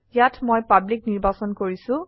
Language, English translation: Assamese, Here I have selected public